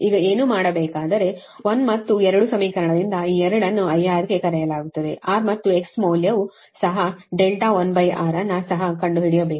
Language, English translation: Kannada, what you will do is that you from equation one and two, and these two are known, i r is also known, r and x value is also known